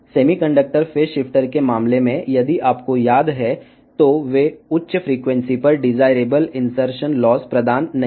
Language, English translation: Telugu, In case of semiconductor phase shifter, if you remember they do not provide the desirable insertion loss at higher frequencies